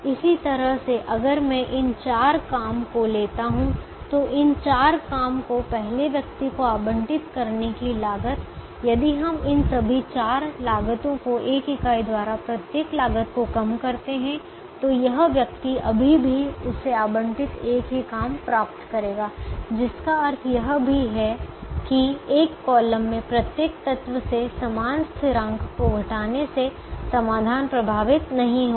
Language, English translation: Hindi, in a similar manner, if i take these four jobs, the cost of allocating these four jobs to the first person, if we reduce the cost all these four costs by one unit each, this person would still get the same job allotted to him or her, which also means that subtracting the same constant from every element in a column will not affect the solution